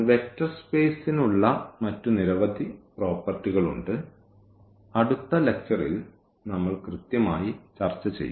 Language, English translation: Malayalam, So, there are so many other properties which are vector space has; so, that we will discuss exactly in the next lecture